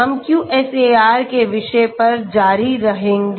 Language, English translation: Hindi, We will continue on the topic of QSAR